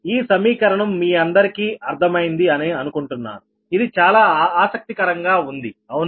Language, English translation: Telugu, i hope this equation you have understood this very interesting, right